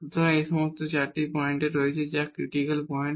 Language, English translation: Bengali, So, all these 4 points are there which are the critical points